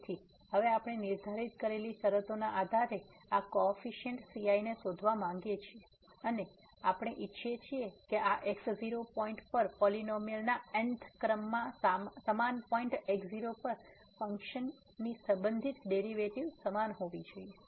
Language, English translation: Gujarati, So, now we want to find these coefficients ’s based on the conditions which we have set or we wish to have that this up to th order derivative of this polynomial at the point must be equal to the respective derivative of the function at the same point